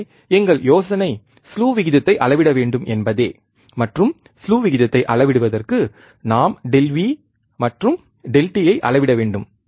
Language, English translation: Tamil, We here our idea is just to measure the slew rate, and for measuring the slew rate, what we have to measure delta V and delta t